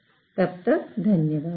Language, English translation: Hindi, So, thank you